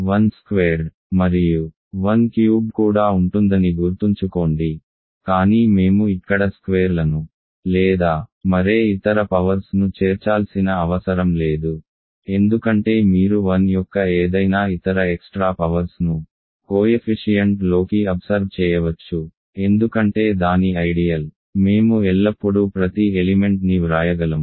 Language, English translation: Telugu, Remember a 1 squared a 1 cubed will also be there, but we do not need to include squares here or any other powers because you can absorb any other extra powers of a 1 into the coefficient, because its an ideal we can always write every element like this